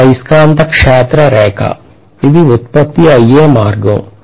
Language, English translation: Telugu, But this is essentially the magnetic field line that is the way it is produced